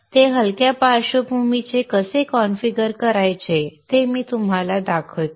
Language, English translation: Marathi, I will show you how to configure it to make it into a light background one